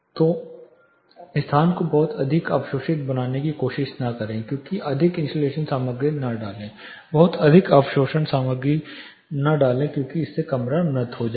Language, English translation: Hindi, So, do not try to make this space to much absorptive, do not put too much of insulation material, do not put too much of absorption material specifically so that the room becomes to dead